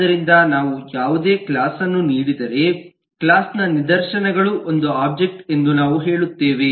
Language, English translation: Kannada, so we will say that, given any class, an instances of the class, is an object